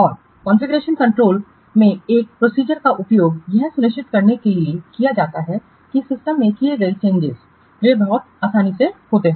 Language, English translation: Hindi, And in configuration control, this process is used to ensure that the changes made to a system they occur very smoothly